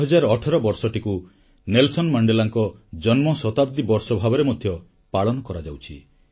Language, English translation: Odia, The year2018 is also being celebrated as Birth centenary of Nelson Mandela,also known as 'Madiba'